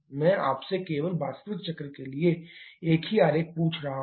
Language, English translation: Hindi, I am just asking you the same diagram for the actual cycle